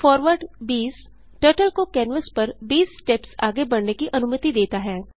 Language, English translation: Hindi, forward 20 commands Turtle to move 20 steps forward on the canvas